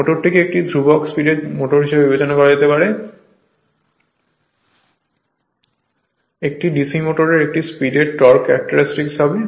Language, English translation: Bengali, The motor can be considered as a constant speed motor, this is a speed torque characteristics of DC motor right